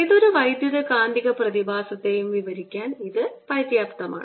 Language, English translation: Malayalam, these are sufficient to describe any electromagnetic phenomena